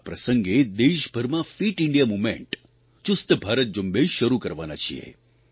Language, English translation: Gujarati, On this occasion, we are going to launch the 'Fit India Movement' across the country